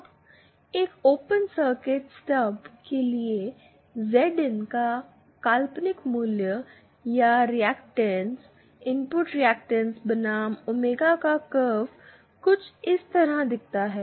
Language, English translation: Hindi, Now for and open circuit stub, the imaginary value of Z in or the reactance, input reactance vs omega curve looks something like this